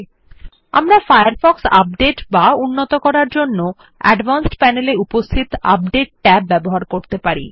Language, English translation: Bengali, Lastly, we can update Firefox using the Update tab in the Advanced panel